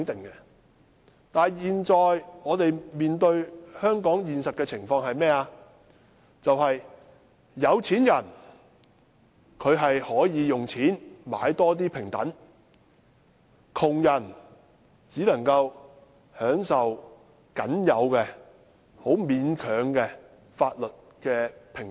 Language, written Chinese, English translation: Cantonese, 然而，我們現在面對香港的現實情況卻是，有錢人可以用錢買更多平等，窮人可以享受的待遇，只是僅有的、很勉強的法律平等。, However the reality in Hong Kong which we now face is that the wealthy can buy more equality with their money yet the poor may have access to only the minimal and barely acceptable equality under the law . Those people falling between the wealthy and the poor are the most unfortunate